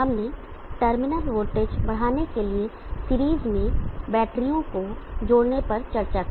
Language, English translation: Hindi, We discussed connecting batteries and series to enhance terminal voltage